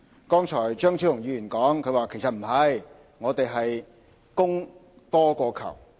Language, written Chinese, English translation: Cantonese, 剛才張超雄議員說其實不然，我們是供多於求。, Dr Fernando CHEUNG said earlier that this was not the case and we actually had a surplus supply